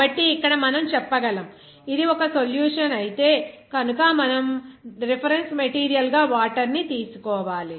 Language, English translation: Telugu, So, here we can say since it is a solution we have to take the reference material as water